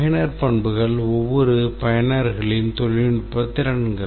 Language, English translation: Tamil, The user characteristics are the technical skills of each user class